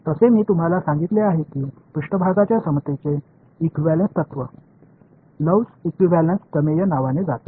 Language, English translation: Marathi, By the way this particular surface equivalence principle that I told you goes by the name of Love’s equivalence theorem